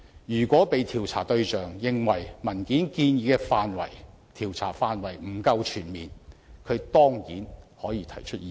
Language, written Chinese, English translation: Cantonese, 如果被調查對象認為文件建議的調查範圍不夠全面，他當然可以提出意見。, If the subject of inquiry thinks that the scope of inquiry proposed in the document is not comprehensive enough he can surely express his views